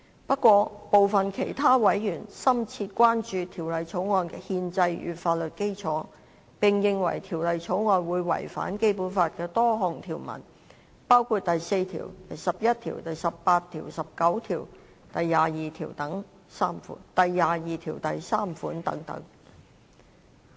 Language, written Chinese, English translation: Cantonese, 不過，部分其他委員深切關注《條例草案》的憲制與法律基礎，並認為《條例草案》會違反《基本法》的多項條文，包括第四條、第十一條、第十八條、第十九條、第二十二條第三款等。, Some other members however are deeply concerned about the constitutional and legal basis of the Bill and consider that the Bill would contravene various articles of the Basic Law including Articles 4 11 18 19 and 223